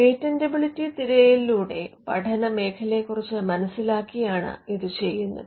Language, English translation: Malayalam, This is done by understanding the field through the patentability search